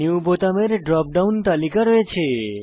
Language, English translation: Bengali, New button has a drop down list